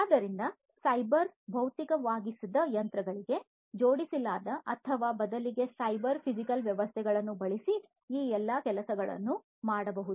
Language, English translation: Kannada, So, all of these things could be performed using cyber physical systems attached to or you know or rather machines, which have been made cyber physical